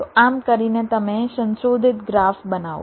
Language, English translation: Gujarati, so by doing this you create modified graph here